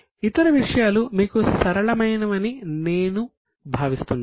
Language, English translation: Telugu, Other things I think are simple to you